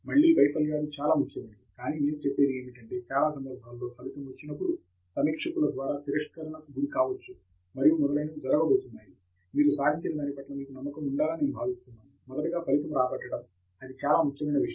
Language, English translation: Telugu, Again, failures are very important, but most importantly what I would say is when you get a result, to avoid may be rejections by reviewers and so on which are bound to happen, I think you should be convinced of your result first, that’s a most important thing